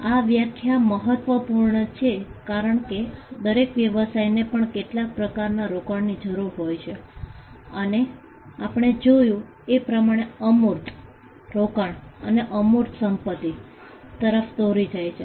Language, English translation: Gujarati, This definition is important because, every business also requires some form of investment and we saw that investment in intangible leads to intangible assets